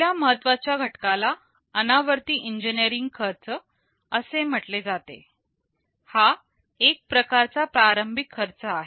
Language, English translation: Marathi, First important parameter is called non recurring engineering cost, this is some kind of initial cost